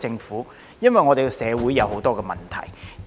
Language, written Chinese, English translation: Cantonese, 是因為我們社會有很多問題。, It is because there are so many problems in our society